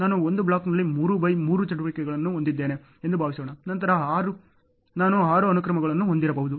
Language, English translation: Kannada, Suppose I have 3 by 3 activity in a block, then I may have 6 sequences